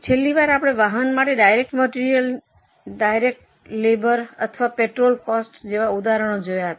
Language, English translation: Gujarati, Last time we had seen some examples like direct material, direct labor or petrol cost for a vehicle